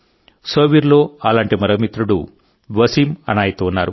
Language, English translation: Telugu, Similarly, one such friend is from Sopore… Wasim Anayat